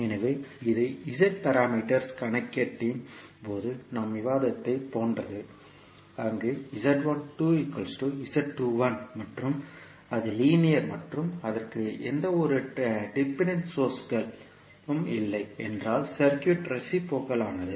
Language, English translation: Tamil, So this is similar to what we discussed in case of Z parameters calculation where Z 12 is equal to Z 21 and it was linear and if it was not having any dependent source, the circuit was reciprocal